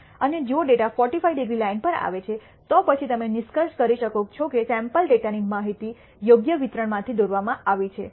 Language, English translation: Gujarati, And if the data falls on the 45 degree line, then you can conclude that the sample data has been drawn from the appropriate distribution you are testing it against